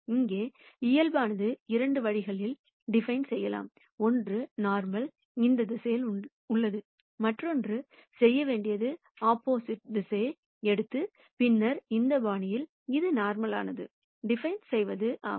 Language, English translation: Tamil, Here the normal could be defined in two ways, one is the normal is in this direction, the other thing to do is to just take the opposite direction and then define a normal in this fashion also